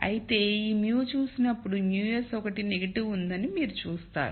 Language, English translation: Telugu, However, when you look at this mu you will see that one of the mus is negative